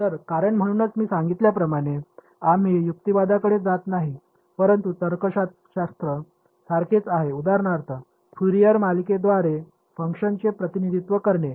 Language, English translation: Marathi, So, the reason; so, as I mentioned, we are not going into the reasoning, but the logic is similar to for example, representing a function using its Fourier series